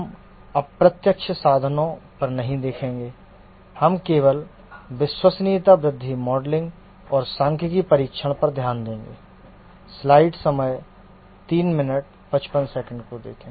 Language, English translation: Hindi, We will look only at the reliability growth modeling and statistical testing